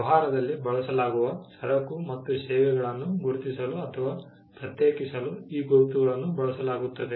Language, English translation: Kannada, These marks are used to identify or distinguish goods and services that are used in business